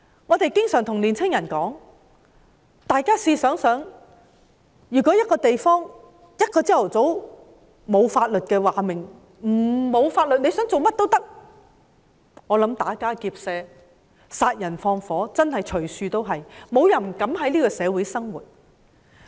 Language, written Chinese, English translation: Cantonese, 我們經常對年青人說，試想想，如果一個地方在某個早上沒有了法律，大家想做甚麼也可以，我認為打家劫舍、殺人放火的事件真的會隨處都是，沒有人膽敢在這個社會生活。, We often ask young people to think about a situation . On a morning when a place is no longer bound by any law and you can do whatever you want I think there surely will be cases of robbery burglary murder and arson everywhere and no one dares to live in this society